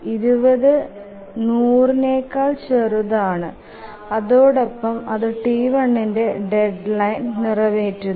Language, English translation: Malayalam, So, 20 is less than 100 and this ensures that T1 would meet its deadline